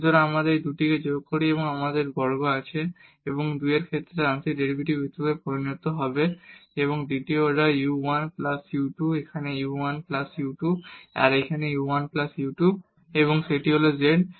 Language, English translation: Bengali, So, if we add these two so, we have x square and this will become as the partial derivative with respect to 2, the second order u 1 plus u 2 here u 1 plus u 2 here also u 1 plus u 2 and that is z